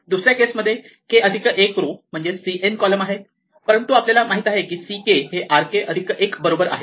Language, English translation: Marathi, So, second one as r k plus one rows c n column, but we know that c k is equal to r k plus 1